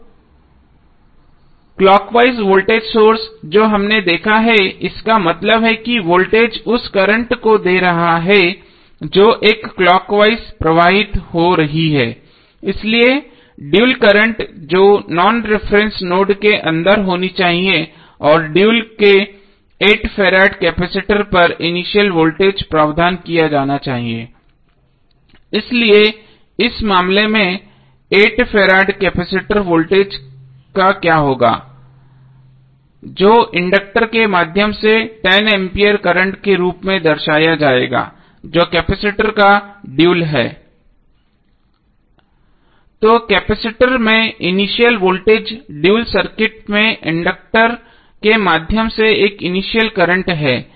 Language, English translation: Hindi, Now the clockwise voltage source which we have seen that means the voltage is giving the current which is flowing in a clockwise, so the dual would be current should be going inside the non reference node and provision must be made for the dual of the initial voltage present across 8 farad capacitor, so in this case what will happen the 8 farad capacitor voltage would be represented as 10 ampere current through the inductor which is the dual of the capacitor